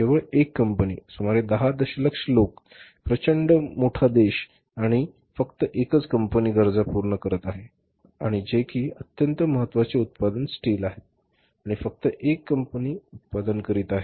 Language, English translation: Marathi, Only one company huge country say around 1 billion people huge country large country and only one company is fulfilling the needs which is very important product, steel and only one company is manufacturing